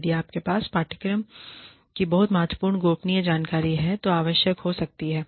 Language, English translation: Hindi, If you have, very critical confidential information, of course, that may be necessary